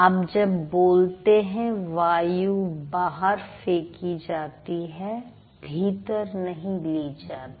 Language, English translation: Hindi, Air is being thrown out when you speak, you don't suck it in